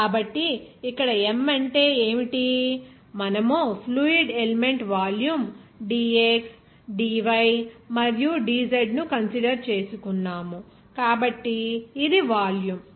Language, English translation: Telugu, So, what is m here, since we are considering the fluid element volume dx, dy and dz, this is volume